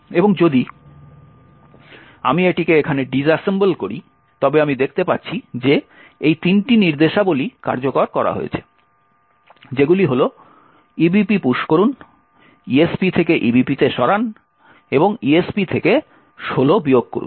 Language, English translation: Bengali, So, I can just specify si3 which means that 3 instructions have to be executed, okay and if I disassemble it over here, I see that these 3 instructions push ebp move esp to ebp and subtracts 16 from esp has been executed